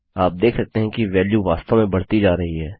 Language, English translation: Hindi, You can see that the value is in fact going up